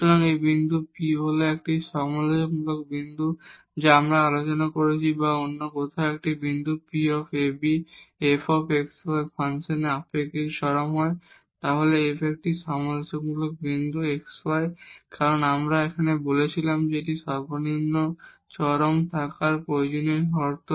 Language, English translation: Bengali, So, this point P is a critical point as per the definition we have discussed or in other words if a point P x y is a relative extremum of the function f x y then this is a critical point of f x y because yes as we said that this is the necessary condition to have the extremum minimum